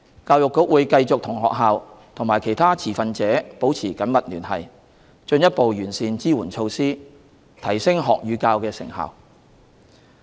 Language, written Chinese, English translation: Cantonese, 教育局會繼續與學校和其他持份者保持緊密聯繫，進一步完善支援措施，提升學與教的成效。, The Education Bureau will continue to maintain close communication with schools and other stakeholders to further refine the relevant support measures thereby enhancing the effectiveness of learning and teaching